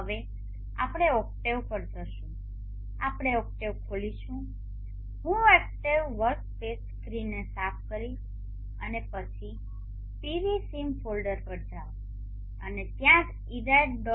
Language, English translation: Gujarati, Now next we go to octave we will open octave I will clear up the octave workspace screen and then go to the PVSIM folder and that is where the IRRED